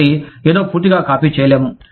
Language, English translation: Telugu, So, something, that cannot be totally copied